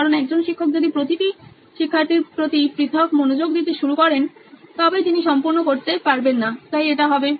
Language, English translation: Bengali, Because if a teacher would start giving individual attention to each and every student he or she would not be able to complete, so it would be